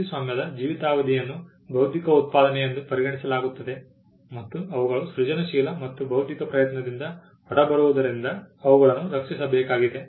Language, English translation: Kannada, The works on which copyright subsists are regarded as intellectual production which need to be protected because they come out of a creative or intellectual effort